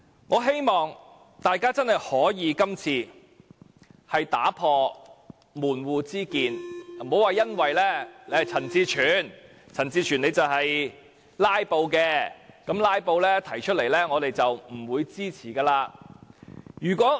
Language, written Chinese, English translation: Cantonese, 我希望大家這次真的可以打破門戶之見，不要因為是陳志全，而陳志全是"拉布"的，因為是為"拉布"而提出的，便不支持這項修正案。, I hope that Members can set aside their sectarian division this time . Please do not oppose this amendment for the reason that it is proposed by CHAN Chi - chuen a Member who filibusters or thinking that he proposes it for filibustering